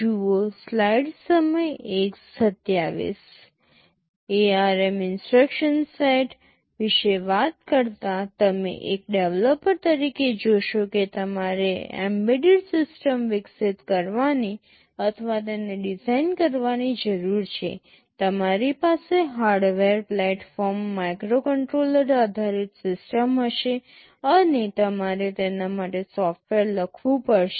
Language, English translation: Gujarati, Talking about the ARM instruction set, you see as a developer you need to develop or design an embedded system, you will be having a hardware platform, a microcontroller based system and you have to write software for it